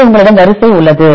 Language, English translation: Tamil, So, you have the sequence